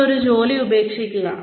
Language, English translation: Malayalam, You leave a job